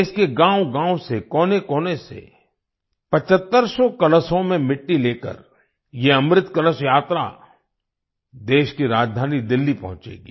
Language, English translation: Hindi, This 'Amrit Kalash Yatra' carrying soil in 7500 urns from every corner of the country will reach Delhi, the capital of the country